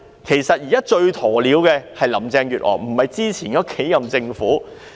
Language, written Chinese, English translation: Cantonese, 其實現在最"鴕鳥"的是林鄭月娥，不是以前的數任政府。, Actually it is Carrie LAM who has acted like an ostrich most not the several terms of government before hers